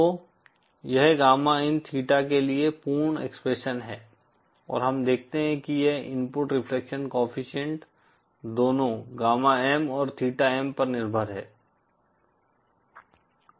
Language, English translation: Hindi, So this is the complete expression for gamma In theta and we see that this input reflection coefficient is dependent on both gamma M and theta M